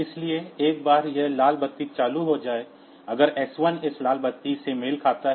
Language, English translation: Hindi, So, this; so, once this red light is turned on; so, if s 1 corresponds to this red light; so, s 1 is